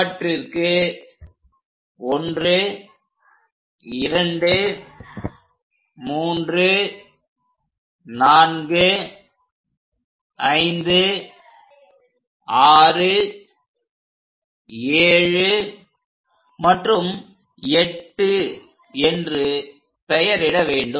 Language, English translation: Tamil, Now name these as 1, 2, 3rd point, 4, 5, 6, 7 and 8th point; 8 divisions are done